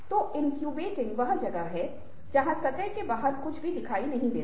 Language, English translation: Hindi, so incubating is where nothing is visible outside to the surface